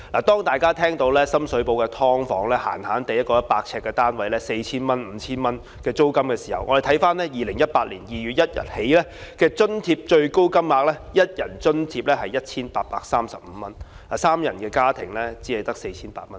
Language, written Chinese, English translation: Cantonese, 當大家聽到深水埗一個100平方呎的"劏房"租金隨時也要 4,000 元、5,000 元的時候，我們看看2018年2月1日起的津貼最高金額 ，1 人津貼只有 1,835 元，三人家庭只有 4,800 元。, When we have heard that the rent of a subdivided unit of 100 sq ft in Sham Shui Po can be as much as 4,000 or 5,000 let us look at the maximum rates from 1 February 2018 onwards . The rent allowance for a one - person household is only 1,835 whereas that for a three - person family is only 4,800